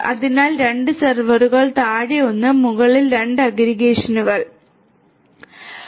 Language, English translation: Malayalam, So, 2 servers, 1 below and 2 aggregation switches above